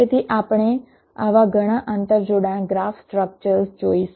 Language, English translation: Gujarati, so we shall see several such interconnection graph structure